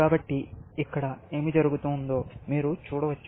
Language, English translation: Telugu, So, you can see what is happening here